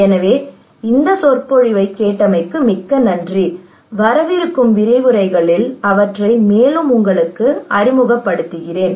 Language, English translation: Tamil, So thank you very much for listening this lecture and I will introduce to you in other lectures